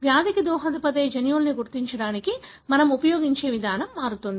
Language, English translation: Telugu, So, the approach that we used to identity the genes that contribute to the disease varies